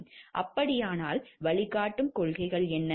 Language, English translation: Tamil, Then what are the guiding principles